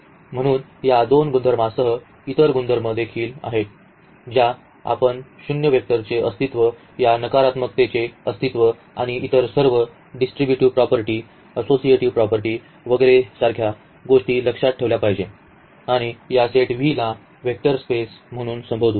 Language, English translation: Marathi, So, with these two properties and there are other properties as well which we have to keep in mind like the existence of the zero vector, existence of this negativity and all other these distributivity property associativity property etcetera must hold for this set V then we call this set V as a vector space